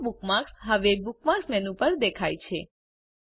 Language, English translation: Gujarati, The Yahoo bookmark now appears on the Bookmark menu